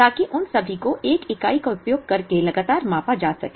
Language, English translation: Hindi, So that, all of them can be measured consistently using a single unit